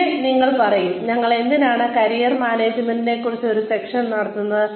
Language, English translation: Malayalam, And, you will say, why are we having a session on Career Management